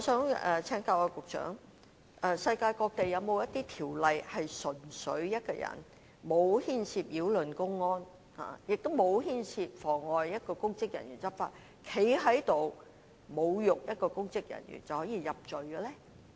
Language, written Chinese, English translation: Cantonese, 不過，我想請問局長，世界上有否任何法例，對一位沒有牽涉任何擾亂公安或妨礙公職人員執法行為的人，只因侮辱一名公職人員而被入罪？, Nonetheless I would like to ask the Secretary Is there any legislation in this world that convicts a person who merely insults a public officer without being actually involved in any disorderly act or obstructing public officers undertaking law enforcement duties?